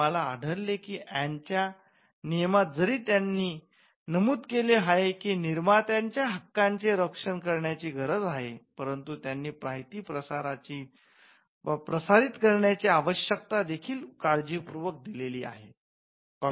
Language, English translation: Marathi, We found that in the statute of Anne though they have mentioned that there is a need to protect the rights of the creators they are also carefully worded the need to disseminate information as well